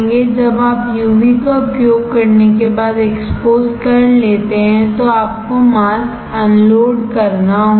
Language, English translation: Hindi, When you expose using UV after that you have to unload the mask